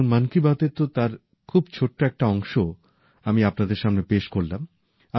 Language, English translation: Bengali, In this 'Mann Ki Baat', I have presented for you only a tiny excerpt